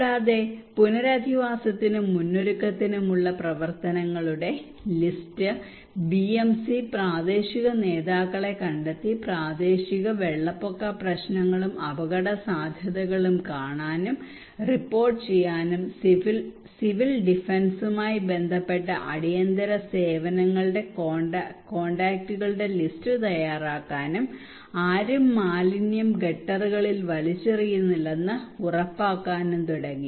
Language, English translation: Malayalam, Also we list of actions for rehabilitation and preparedness like to identifying the pending works BMC identifying the local leaders to look and report local flood problem and vulnerability, preparing list of contacts of emergency services meeting with civil defence, ensuring that nobody is throwing waste in gutters